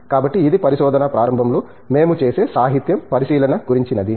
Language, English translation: Telugu, So, this is about the literature survey that we do with at the beginning of the research